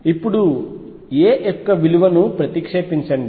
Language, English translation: Telugu, Now, substitute the value of a